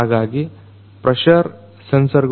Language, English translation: Kannada, So, pressure sensors